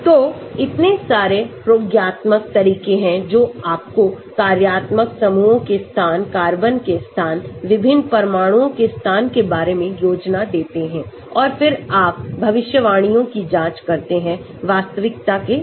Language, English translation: Hindi, So, so many experimental approaches that can give you an idea about the location of the functional groups, location of the carbons, location of various atoms and then you cross check your predictions with the reality